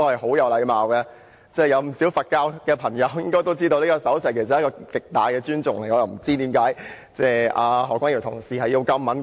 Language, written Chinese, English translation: Cantonese, 不少佛教朋友都知道，這手勢代表極大尊重，所以我不明白為何何君堯議員會如此敏感。, As many Buddhist believers may be aware this gesture symbolizes great respect . I have no idea why Dr Junius HO is so sensitive but it does not matter